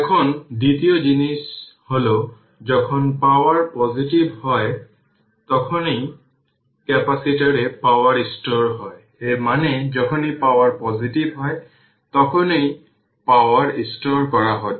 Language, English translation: Bengali, Now energy second thing is that energy is being stored in the capacitor whenever the power is positive; that means, when power is positive that energy is being stored